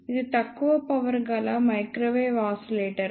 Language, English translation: Telugu, It is a low power microwave oscillator